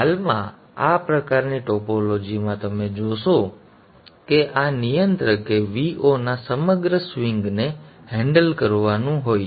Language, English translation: Gujarati, At present in this type of topology you will see that this controller has to handle the entire swing of V 0